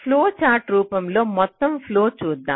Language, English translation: Telugu, so let us look at the overall flow in the form of flow chart